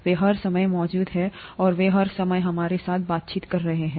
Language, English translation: Hindi, They are present all the time, and they are interacting with us all the time